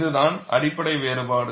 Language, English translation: Tamil, This is the fundamental difference